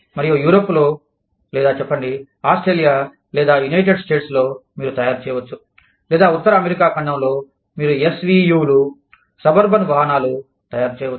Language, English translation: Telugu, And, maybe in Europe, or say, Australia, or the United States, you could be making, or North American continent, you could be making, SUVs, suburban vehicles